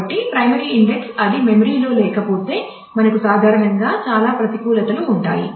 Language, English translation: Telugu, So, primary index if it is not in the memory then we usually have a lot of disadvantage